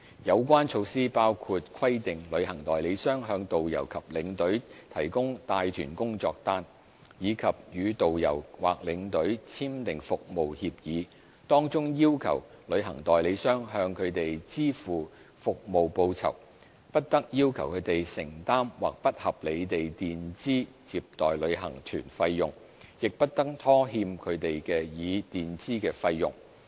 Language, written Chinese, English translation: Cantonese, 有關措施包括規定旅行代理商向導遊或領隊提供帶團工作單，以及與導遊或領隊簽訂服務協議，當中要求旅行代理商向他們支付服務報酬、不得要求他們承擔或不合理地墊支接待旅行團費用，亦不得拖欠他們已墊支的費用。, Such measures include requiring a travel agent to provide a job sheet for its tourist guides or tour escorts and to sign with its tourist guides or tour escorts a service agreement whereby it must pay them service remuneration must not require them to bear or unreasonably advance any payment for a tour group received and must not delay the reimbursement for any advance payment made by them